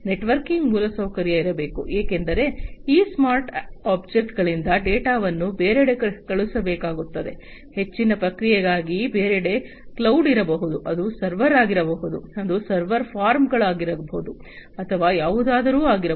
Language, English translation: Kannada, Networking infrastructure has to be there, because the data will have to be sent from these smart objects elsewhere for further processing that elsewhere could be cloud, it could be server, it could be server forms or anything